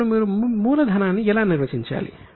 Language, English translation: Telugu, Now, how do you define capital